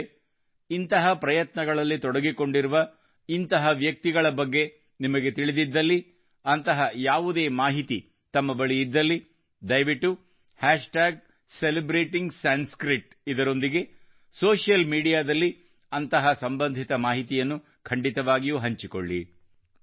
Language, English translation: Kannada, Friends, if you know of any such person engaged in this kind of effort, if you have any such information, then please share the information related to them on social media with the hashtag Celebrating Sanskrit